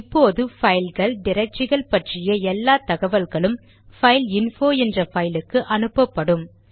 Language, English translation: Tamil, Now all the files and directories information will be directed into the file named fileinfo